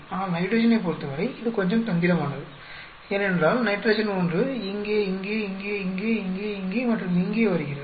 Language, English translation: Tamil, But for nitrogen it is little bit tricky because nitrogen one is coming here, here, here, here, here, here and here